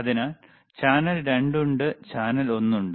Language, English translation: Malayalam, So, there is channel 2, there is channel one